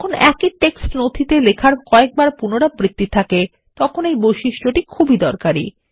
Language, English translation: Bengali, This feature is very helpful when the same text is repeated several times in a document